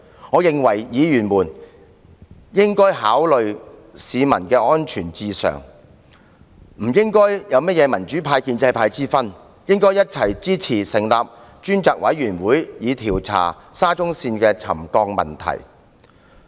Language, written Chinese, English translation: Cantonese, 我認為議員應以市民的安全為上，不應有民主派或建制派之分，應該一起支持成立專責委員會，調查沙中線的沉降問題。, In my view Members should accord top priority to public safety . Members from both the democratic camp and the pro - establishment camp should all support the establishment of a select committee to investigate the ground settlement caused by the SCL Project